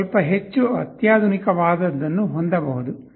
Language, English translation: Kannada, You can have something that is slightly more sophisticated